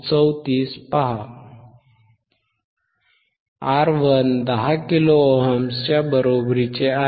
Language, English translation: Marathi, R 1 equals to 10 kilo ohms;